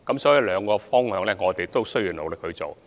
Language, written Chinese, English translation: Cantonese, 所以，兩個方向我們也會努力地做。, Therefore we will make good efforts on both ends